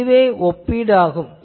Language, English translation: Tamil, But, this is the comparison